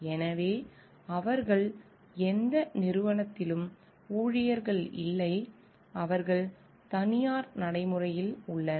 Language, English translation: Tamil, So, they are not employees of any organization, they are in private practice